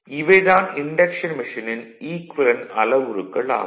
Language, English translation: Tamil, So, this is the equivalent circuit of the induction machine right